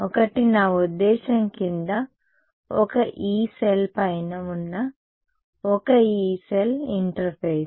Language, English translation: Telugu, One I mean the interface one Yee cell above one Yee cell below